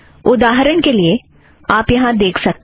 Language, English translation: Hindi, For example, you can see that now